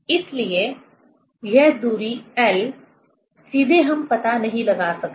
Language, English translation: Hindi, So, this distance L, we cannot, directly we cannot find out